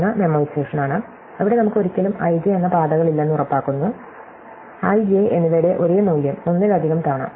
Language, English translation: Malayalam, So, one is memoization where we just make sure that we never call paths (i,j) the same value of i and j more than once